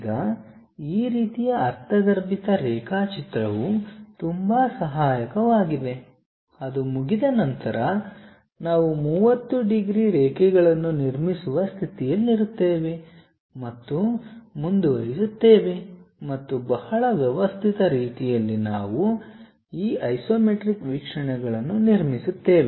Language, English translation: Kannada, Now this kind of intuitive way of drawing is very helpful, once that is done we will be in a position to construct 30 degrees lines and go ahead and in a very systematic way, we will construct this isometric views